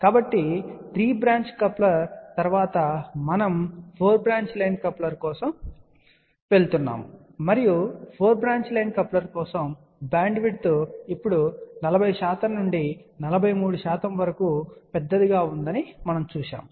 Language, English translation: Telugu, So, after the 3 branch coupler we went to 4 branch line coupler, and for 4 branch line coupler we had seen that the bandwidth is now much larger 40 percent to 43 percent